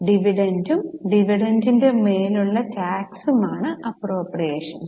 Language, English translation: Malayalam, Appropriations is dividend and tax on dividend